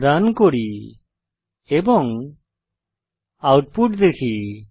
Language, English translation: Bengali, Let us Run and see the output